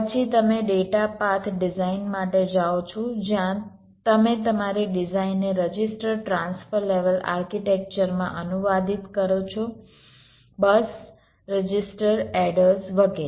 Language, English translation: Gujarati, then you go for data path design, where do you translate your design into a register transfer level architecture, bus registers, adders, etcetera